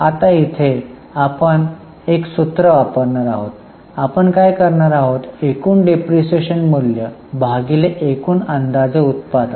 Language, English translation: Marathi, So, what we do is total depreciable amount will divide it by the estimated total production